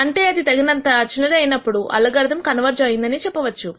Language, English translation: Telugu, That is when this becomes small enough you say the algorithm has converged